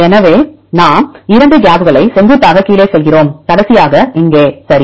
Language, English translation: Tamil, So, we go the down vertically down 2 gaps and the last one is here ok